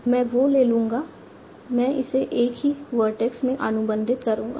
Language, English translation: Hindi, I'll take it, I'll contract it into a single vertex